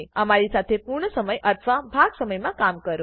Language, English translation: Gujarati, Work with us, full time or part time